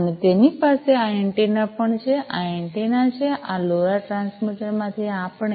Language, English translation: Gujarati, And it has this antenna also this is this antenna for from this LoRa transmitter we